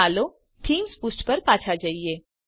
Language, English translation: Gujarati, Lets go back to our Themes page